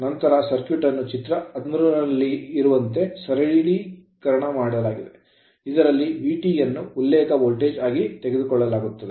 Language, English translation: Kannada, The circuit then reduces to figure 13 in which it is convenient to taken V Thevenin as the reference voltage